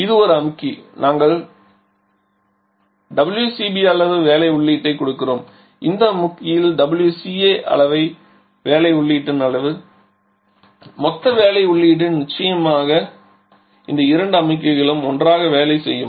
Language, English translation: Tamil, So, this is a compressor where we are giving us a WC amount of WC B amount of work input and this is the compressor where we were giving WC A amount of work input so total work input definitely will corresponds to this 2 compressor works together